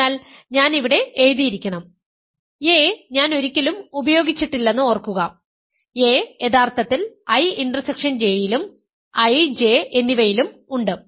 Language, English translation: Malayalam, So, I should have written here a is remember I have never use that a is actually both I intersection J both I and J that is crucial a